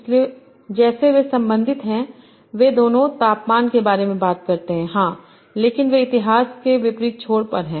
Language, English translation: Hindi, So as such they are related, they both talk about temperature, yes, but they are at the opposite ends of the extreme